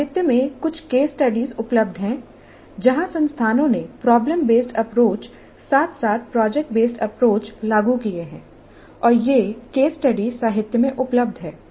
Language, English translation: Hindi, Certain case studies are available in the literature where the institutes have implemented problem based approaches as well as product based approaches and these case studies are available in the literature